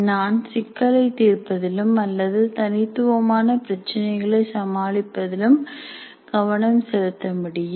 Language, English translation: Tamil, I can start discussions, I can focus on solving the problems or address individual issues